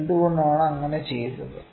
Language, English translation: Malayalam, So, why did